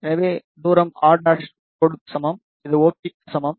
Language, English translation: Tamil, So, this distance is equal to r dash, which is equal to OP